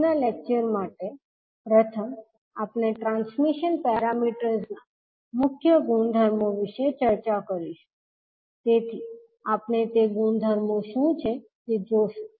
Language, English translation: Gujarati, For today’s lecture we will first discuss the key properties of the transmission parameters, so we will see what are those the properties